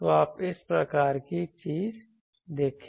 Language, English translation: Hindi, So you see this type of thing